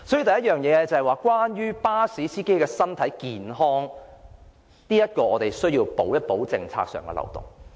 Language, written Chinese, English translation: Cantonese, 所以，第一，對於巴士司機的身體健康，我們必須修補政策上的漏洞。, Therefore firstly for the sake of the health of bus drivers it is imperative to mend the loopholes in the policies